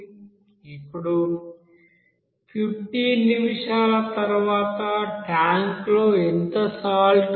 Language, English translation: Telugu, Now how much salt will remain in the tank at the end of 15 minutes